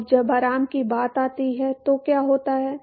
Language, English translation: Hindi, Now what happens when it comes to rest